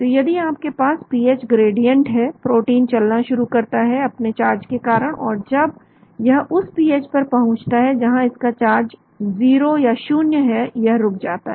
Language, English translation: Hindi, So if you have pH gradient, protein start moving, because of the charge and when it reaches the pH at which the charge is 0 it stops